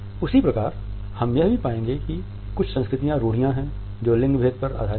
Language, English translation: Hindi, At the same time we would find that there are certain cultural stereotypes which are based on gender differences